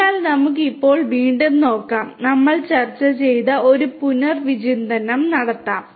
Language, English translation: Malayalam, So, let us now again take a look and take a recap of what we have discussed